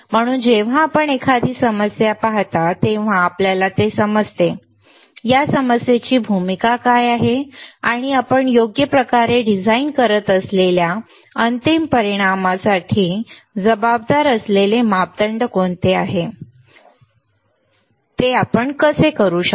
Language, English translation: Marathi, So, when you see a problem you understand that; what is the role of this problem and how you can what are the parameters that are responsible for the resulting for the final result that we are designing for right